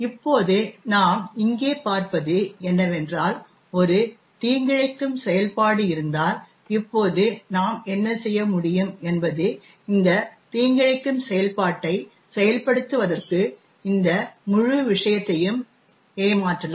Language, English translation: Tamil, Now what we see here is that there is a malicious function, now what we can do is we can actually trick this entire thing into executing this malicious function